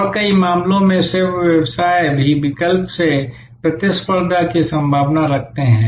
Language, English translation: Hindi, And in many cases, service businesses are also prone to competition from substitutes